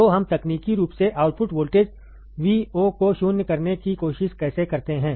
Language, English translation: Hindi, So, how do we technically try to null the output voltage Vo